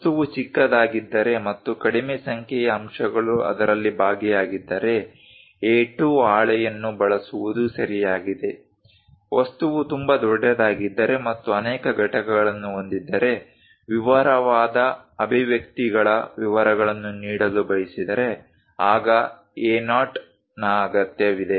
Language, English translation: Kannada, If the object is small and small number of elements are involved in that, is ok to use A2 sheet; if the object is very large and have many components would like to give detailed expressions details, then A0 is required